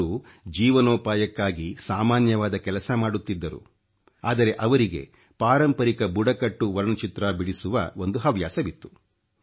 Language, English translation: Kannada, He was employed in a small job for eking out his living, but he was also fond of painting in the traditional tribal art form